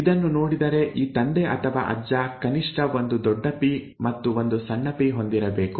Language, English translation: Kannada, With this, and taking a look at this, this father or the grandfather should have had at least one capital P and one small p